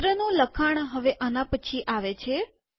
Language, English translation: Gujarati, The text of the letter comes next